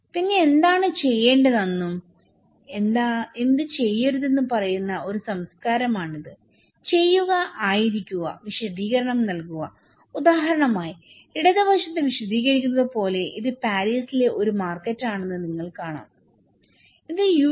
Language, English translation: Malayalam, Then, this is a culture that tells you what to do and what not to do, doing, being, explaining like for example in the left hand side, you can see that this is a market in Paris, okay and this is another market in US, they are doing the same thing, they all came in a market